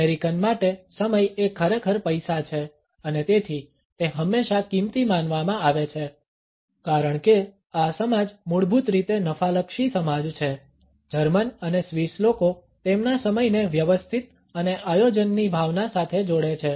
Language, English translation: Gujarati, For an American time is truly money and therefore, it is always considered to be precious; because this society is basically a profit oriented society Germans and Swiss link time with their sense of order tidiness and planning